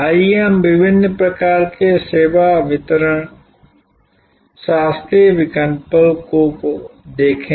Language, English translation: Hindi, Let us look at the different types of service delivery classical options